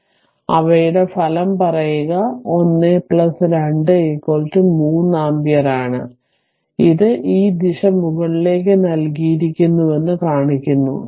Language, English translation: Malayalam, So, their resultant is 1 plus say 2 is equal to 3 ampere, and it is showing the direction is given this way upward right